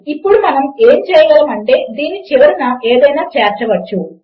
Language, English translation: Telugu, Now, what we can do is we can add something on the end of this